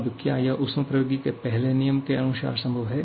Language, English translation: Hindi, Now, is it satisfying the first law of thermodynamics